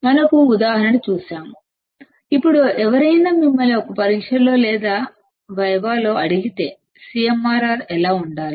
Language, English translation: Telugu, We have seen an example; now if somebody asks you in an exam or in a viva; that what should the CMRR be